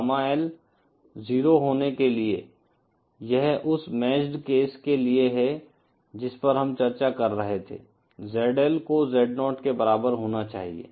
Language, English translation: Hindi, For Gamma L to be 0, that is for the matched case that we were discussing, ZL has to be equal to Z0